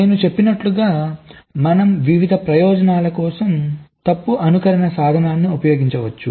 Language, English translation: Telugu, so, as i said, we can use the fault simulation tool for various purposes